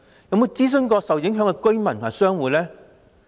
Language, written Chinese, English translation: Cantonese, 有否諮詢受影響的居民和商戶呢？, Has it consulted the affected tenants and shop operators?